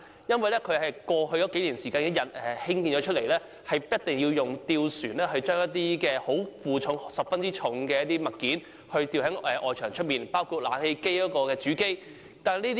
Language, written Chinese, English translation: Cantonese, 因為它們是在過去數年間才落成，以致設計所限，一定要使用吊船來負載一些很重的物件，吊掛在外牆外，包括了冷氣機的主機。, These buildings were completed just a few years ago and due to design constraints gondolas must be hung on external walls during repairs works for the purpose of carrying very heavy objects such as the main units of air - conditioners